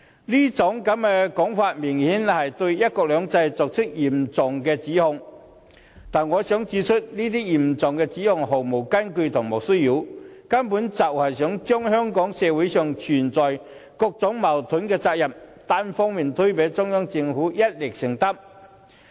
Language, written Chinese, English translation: Cantonese, 這種說法明顯是對"一國兩制"作出嚴重指控，但我想指出這些嚴重指控毫無根據，是莫須有之罪，根本就是想把香港社會上存有各種矛盾的責任，單方面推給中央政府，要它一力承擔。, His claims are obviously serious accusations against one country two systems but I wish to point out that these accusations are groundless . His aim is to unilaterally lay the blame of various conflicts in society on the Central Government and hold it fully accountable